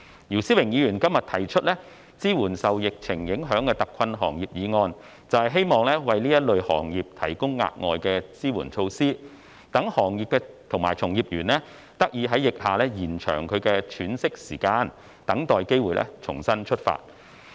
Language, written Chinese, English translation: Cantonese, 姚思榮議員今日提出"支援受疫情影響的特困行業"議案，便是希望為這類行業提供額外的支援措施，讓行業及從業員得以在疫下延長其喘息時間，等待機會重新出發。, The motion on Providing support for hard - hit industries affected by the epidemic proposed by Mr YIU Si - wing today seeks to provide additional support measures for these industries so that the industries and their practitioners can have a longer period of respite under the epidemic and wait for the opportunity to start afresh